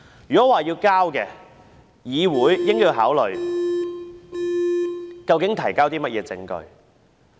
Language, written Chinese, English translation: Cantonese, 如要這樣做，議會應該考慮究竟是提供甚麼證據。, If we have to do so the legislature should consider what kind of evidence has to be provided